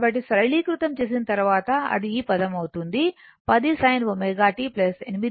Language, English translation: Telugu, So, after simplification you will get it is 10 sin omega t plus 8